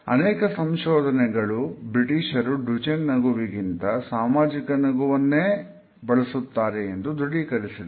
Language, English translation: Kannada, It is pointed out in certain researches that the British are more likely to use the social smile instead of the Duchenne smile